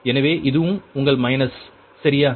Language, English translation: Tamil, so this is also your minus, right